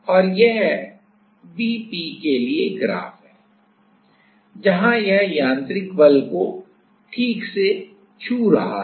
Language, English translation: Hindi, And this is the graph for Vp where it is exactly touching over the mechanical force right ok